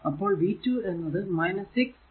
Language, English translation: Malayalam, So, v 2 will be minus 6 into I